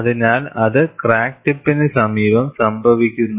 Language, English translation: Malayalam, So, that is what happens near the crack tip